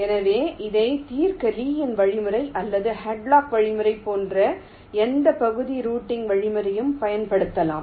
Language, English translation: Tamil, so any area routing algorithm like lees algorithm or algorithm can be used to solve this